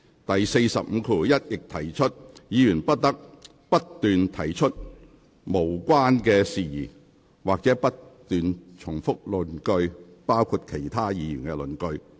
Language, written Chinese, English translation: Cantonese, 第451條亦訂明，議員不得不斷提出無關的事宜或不斷重複論點，包括其他議員的論點。, RoP 451 further provides that a Member shall not persist in irrelevance or tedious repetition of his own or other Members arguments